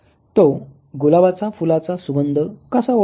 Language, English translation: Marathi, This is how this young boy got the smell of the rose